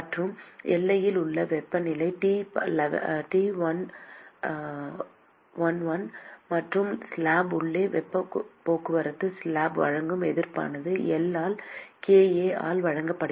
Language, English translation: Tamil, And the temperature at the boundary is T 1l and the resistance offered by the slab for heat transport inside the slab is given by L by kA